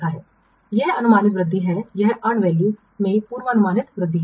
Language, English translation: Hindi, This is the forecasted growth, this is the forecasted growth in and value